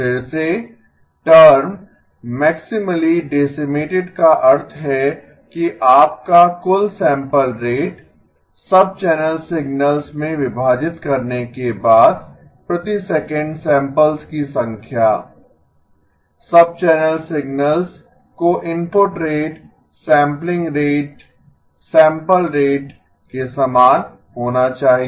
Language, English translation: Hindi, Again, the term maximally decimated means that your total sample rate, number of samples per second after the splitting into the sub signals, subchannel signals should be the same as the input rate sampling rate, sample rate